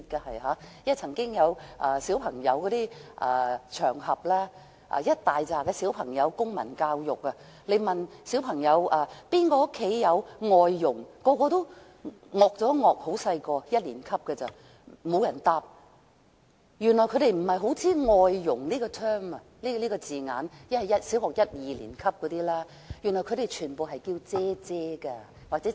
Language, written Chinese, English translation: Cantonese, 我曾經在一年級小學生的公民教育課堂上，問誰家中有外傭，他們都不太明白，沒有人回答，原來他們不認識"外傭"這個字眼，因為小學一二年級的小朋友全部稱外傭為"姐姐"。, I once sat in at a civil education class of Primary One . When I asked which of them had foreign domestic helpers at home they did not understand my question and did not give any answer . I then learnt that they did not understand the term foreign domestic helpers for these kids of Primary One or Two all called their foreign domestic helpers sisters